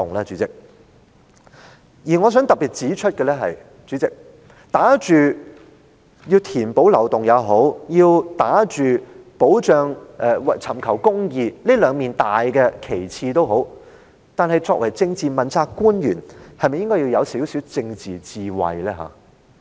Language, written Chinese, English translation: Cantonese, 主席，我想特別指出，不論是打着填補漏洞抑或是尋求公義這兩面大旗幟，作為政治問責官員，他是否需要有些政治智慧呢？, Chairman I wish to highlight that as a politically accountable official he needs some political wisdom whether he holds the banner of plugging loopholes or seeking justice does he not?